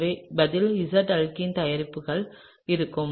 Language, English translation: Tamil, So, the answer is the Z alkene, is the product, okay